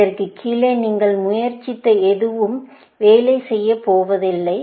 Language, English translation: Tamil, Anything you try below this is not going to work